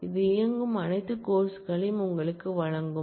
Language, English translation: Tamil, This will give you all courses that run